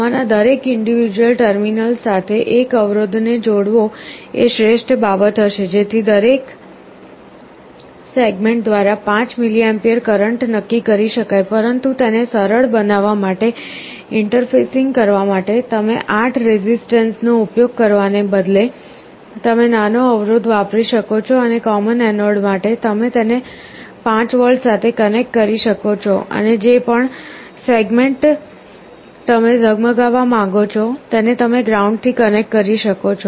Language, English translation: Gujarati, The best thing will be to connect a one resistance to each of these individual terminals, so that the current through each of the segments can be fixed at 5mA, but for the sake of interfacing to make it simple, instead of using 8 resistances what you can do is you use a small resistance and let us say for common anode, you can connect it to 5V and whichever segment you want to glow you connect it to ground